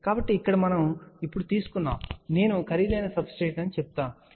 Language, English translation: Telugu, So, here we have taken now, I would say an expensive substrate, so which has an epsilon r 2